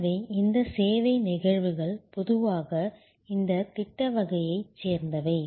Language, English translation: Tamil, So, these service instances are usually of this project type